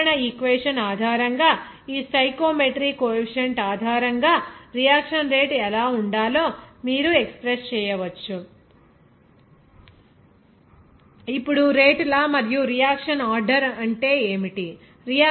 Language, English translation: Telugu, So, based on this general equation, you can express what should be the reaction rate based on this stoichiometry coefficient